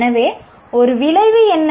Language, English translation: Tamil, So what is an outcome